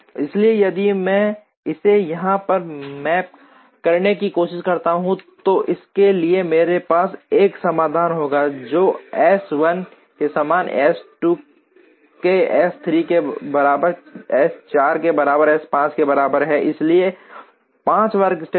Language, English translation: Hindi, So, if I try to map this here, for this I will have a solution which this is like S 1 equal to S 2 equal to S 3 equal to S 4 equal to S 5 equal to 1, so 5 workstations